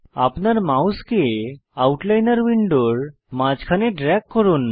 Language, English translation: Bengali, Drag your mouse to the middle of the Outliner window